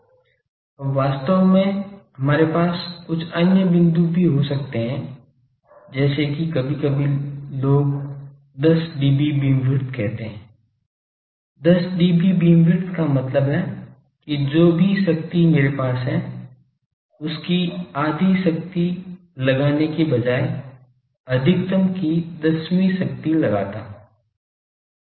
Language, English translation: Hindi, Now, actually we could have some other points also, like sometimes people say 10dB beamwidth; 10dB beamwidth means that whatever power we have instead of locating the half if I locate the one tenth power of the maximum